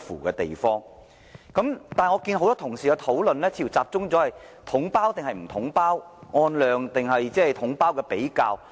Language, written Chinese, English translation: Cantonese, 但是，我發覺很多同事的討論似乎集中在統包與否、按量付費，或統包的比較。, However I noticed that many Members focus their discussions on whether we should use the package deal system the merits of payment on actual supply quantity and comparison between package deal models